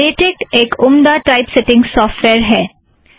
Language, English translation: Hindi, Latex is an excellent typesetting software